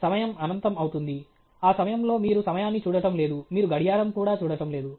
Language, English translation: Telugu, the time become infinite, at that point in time you are not looking, you are not looking at even the watch okay